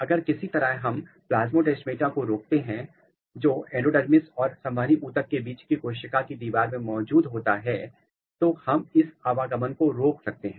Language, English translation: Hindi, If somehow we block the plasmodesmata which is present in the cell wall between endodermis and the vascular tissue we should block the movement